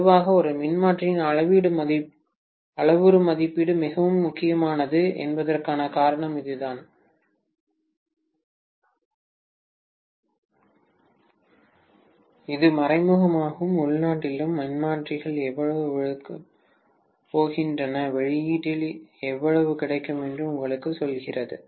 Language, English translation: Tamil, That is the reason why generally the parameter estimation of a transformer becomes extremely important, that tells you indirectly, internally how much the transformers is going to swallow and how much will you get at the output